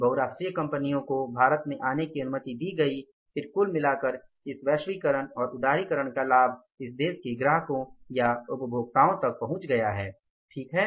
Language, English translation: Hindi, When the multinationals were allowed to come to India then the overall say the benefit of this globalization liberalization of this economy has reached up to the customers or the consumers of this company at this country right